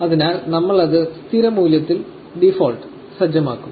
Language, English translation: Malayalam, So, we let it the default value